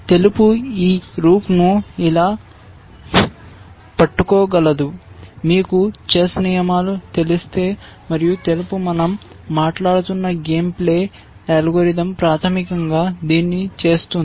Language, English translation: Telugu, White can capture this rook like this, if you know the chess rules, and white, the game playing algorithm that we have been talking about will basically do this